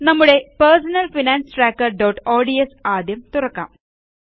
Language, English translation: Malayalam, Let us open our personal finance tracker.ods file